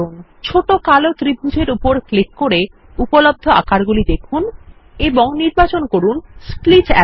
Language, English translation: Bengali, Click on the small black triangle to see the available shapes and select Split Arrow